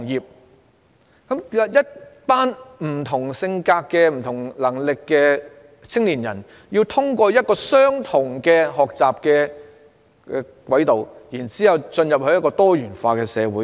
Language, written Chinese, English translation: Cantonese, 為甚麼擁有不同性格、不同能力的青年人，卻要通過相同的學習軌道進入一個多元化的社會？, Why should young people with different characters and abilities enter a pluralistic society by going through the same learning track?